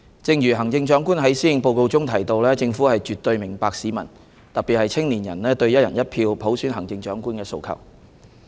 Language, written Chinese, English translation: Cantonese, 正如行政長官在施政報告中提到，政府絕對明白市民，特別是青年人，對"一人一票"普選行政長官的訴求。, As mentioned by the Chief Executive in the Policy Address the Government fully understands the aspirations of the community particularly young people for selecting the Chief Executive through one person one vote